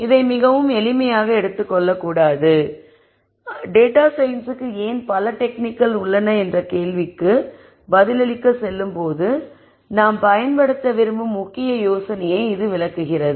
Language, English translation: Tamil, And not to take this very literally, but this illustrates the key idea that I want to use when we go back to answering the question as to why there are so many techniques for data science